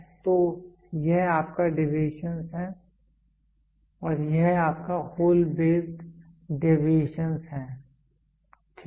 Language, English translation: Hindi, So, this is your deviations this is your hole based deviations, right